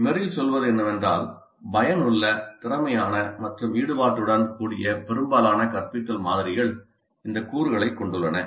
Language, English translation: Tamil, What Merrill says is that most of the instructional models that are effective, efficient and engaging have this component